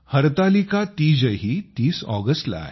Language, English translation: Marathi, Hartalika Teej too is on the 30th of August